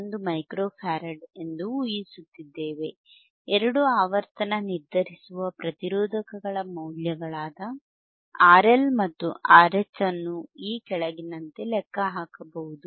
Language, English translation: Kannada, 1 Micro Farad, the values of two frequency determinesing registersistors R L and R H can be calculated as follows